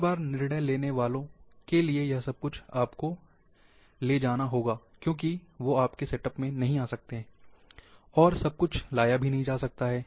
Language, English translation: Hindi, Everytime, for the decision makers, they cannot come in your setup, you have to carry, everything cannot be carried